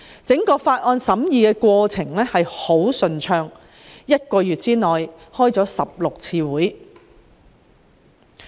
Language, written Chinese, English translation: Cantonese, 整個法案審議過程非常順暢，一個月召開了16次會議進行討論。, The entire deliberation process of the bill introduced then was very smooth and 16 meetings were convened in a month to discuss the legislative proposals